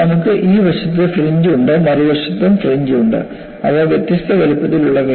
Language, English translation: Malayalam, So, you have fringe on this side and you have fringe on the other side; they are of different sizes